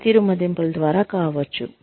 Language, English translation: Telugu, Could be through, performance appraisals